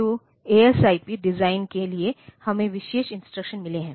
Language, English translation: Hindi, So, for the ASIP design, we have got special instructions